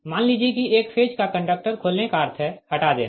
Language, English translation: Hindi, suppose one phase conductor, your opening means cut right